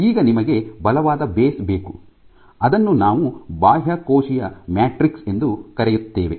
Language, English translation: Kannada, Now, you need a farm ground and what is that firm ground this is called the extracellular matrix